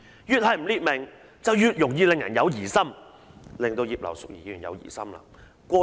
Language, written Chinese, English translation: Cantonese, 越是不列明，便越容易令人有疑心"，令葉劉淑儀議員有疑心。, Since it has not been spelled out people will easily become suspicious . So Mrs Regina IP was suspicious